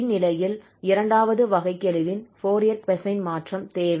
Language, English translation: Tamil, So this is called the inverse Fourier cosine transform